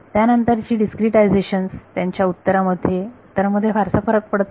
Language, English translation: Marathi, Subsequent discretizations do not differ very much in their answer right